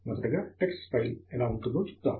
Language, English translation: Telugu, Let us see how the tex file would look like